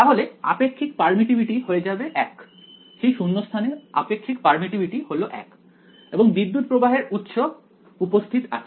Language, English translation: Bengali, Then the relative permittivity will be 1 that relative permittivity of vacuum is 1 and current source is present